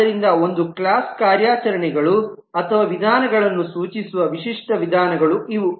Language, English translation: Kannada, So these are the typical ways to denote the operations or methods of a class